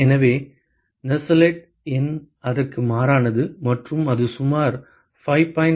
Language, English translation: Tamil, So, the Nusselt number is constant for that and it is about 5